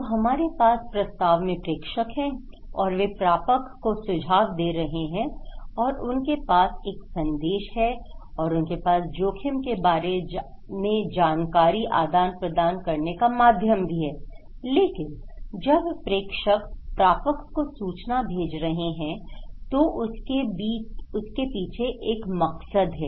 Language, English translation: Hindi, So, we are actually we have senders and they are passing informations to the receivers and they have a message and they have exchange of informations and this exchange of information is about risk but when the senders passing the information, passing the information to the receivers, there is a motive